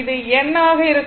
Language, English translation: Tamil, So, here it is N S, N S